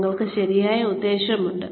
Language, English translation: Malayalam, You have the right intention